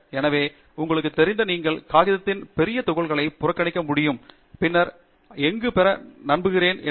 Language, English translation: Tamil, So, that does not mean that you can ignore large chunks of the paper and then hope to get anywhere, you know